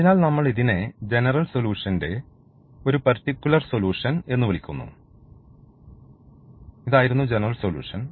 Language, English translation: Malayalam, So, we call this as a particular solution or the general solution, this was the general solution